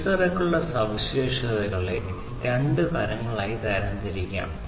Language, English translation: Malayalam, The sensors could be classified in different, different ways